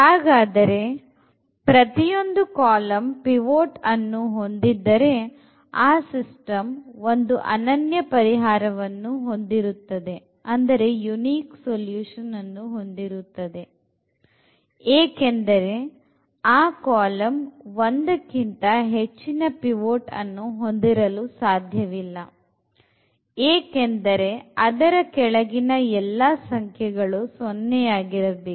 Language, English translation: Kannada, So, if each column has a pivot then the system has a unique solution because the column cannot have more than one pivot that because of this property that below this everything should be 0